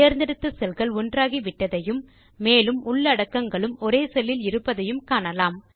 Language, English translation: Tamil, You see that the selected cells get merged into one and the contents are also within the same merged cell